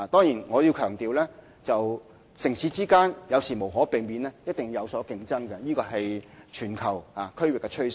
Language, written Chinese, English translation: Cantonese, 然而，我要強調，城市之間有時無可避免地一定會有競爭，這是全球區域的趨勢。, Yet I have to stress that competition among cities is sometimes inevitable and this is the trend prevailing in various regions around the world